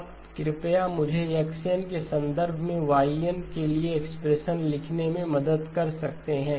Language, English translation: Hindi, Now can you please help me write the expression for Y1 in terms of X of N